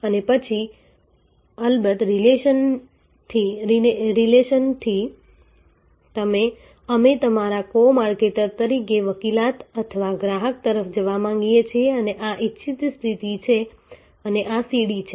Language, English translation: Gujarati, And then of course, from relational we want to go to advocacy or customer as your co marketer and this is the desired state and this is the stairway